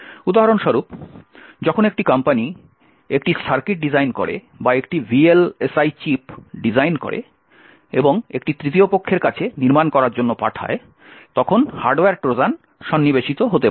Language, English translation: Bengali, For example, when a company actually designs a circuit or designs a VLSI chip and sends it for fabrication to a third party, hardware Trojans may be inserted